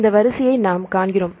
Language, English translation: Tamil, So, we see this sequence